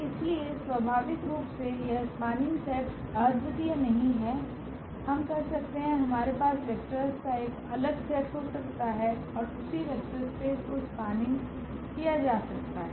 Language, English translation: Hindi, So, naturally this spanning set is not unique, we can have we can have a different set of vectors and that spanned the same vector space